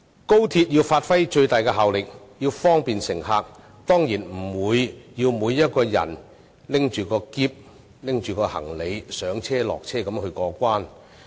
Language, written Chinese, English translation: Cantonese, 高鐵要發揮最大效力，方便乘客，當然不會令每位乘客要攜着行李上車、下車過關。, In order to fully unleash the effectiveness of XRL for the convenience of passengers every passenger should certainly be saved the trouble of alighting and boarding the train with their luggage for clearance